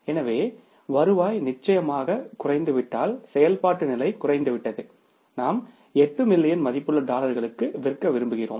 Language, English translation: Tamil, So, when the revenue has come down certainly the activity level has come down that we wanted to sell for 8 million worth of the dollars but we could sell only for 7